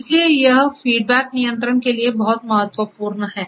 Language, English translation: Hindi, So, this is very important, this is for feedback control